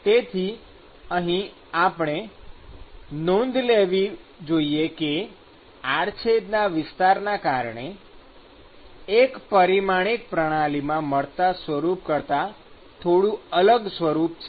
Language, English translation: Gujarati, So, here we should note that because of the cross sectional area you have a slightly different form than what you got in a 1 D system